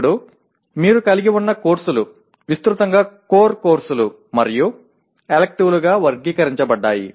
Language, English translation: Telugu, Now, courses that you have are broadly classified into core courses and electives